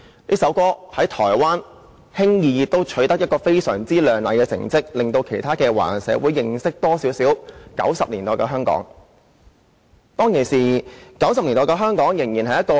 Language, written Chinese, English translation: Cantonese, 這首歌在台灣也輕易取得非常亮麗的成績，令其他華人社會對1990年代的香港有更多認識。, This song easily made a great success in Taiwan . It also gave other Chinese communities worldwide a better understanding of Hong Kong in the 1990s